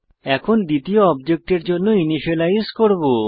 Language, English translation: Bengali, Now, we will initialize the fields for the second object